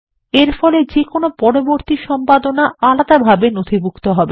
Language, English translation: Bengali, This will enable any subsequent editing to be recorded distinctly